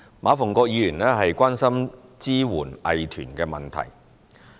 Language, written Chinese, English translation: Cantonese, 馬逢國議員關心支援藝團的問題。, Mr MA Fung - kwok is concerned about the support for arts groups